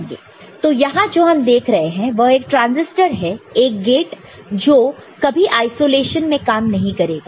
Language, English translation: Hindi, So, here what we see is that a transistor, a gate will never work in isolation